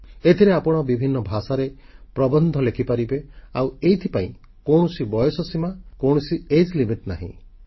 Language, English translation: Odia, You can write essays in various languages and there is no age limit